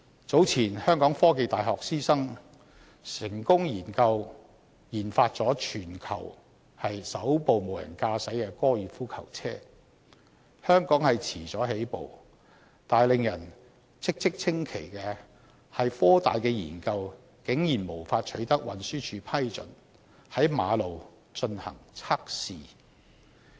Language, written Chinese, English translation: Cantonese, 早前香港科技大學師生成功研發全球首部無人駕駛高爾夫球車，香港遲了起步，但令人嘖嘖稱奇的是，科大的研究竟然無法取得運輸署批准在公路進行測試。, Some time ago the teaching staff and students of The Hong Kong University of Science and Technology HKUST successfully developed the first driverless golf cart . Hong Kong has been lagging behind in RD but what surprised us most is that HKUST could not obtain the approval of the Transport Department to test the vehicle on the road